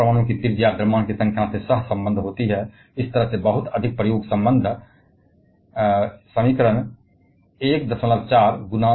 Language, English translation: Hindi, Quite often the radius of an atom is correlated to the mass number, by a very much empirical relation like this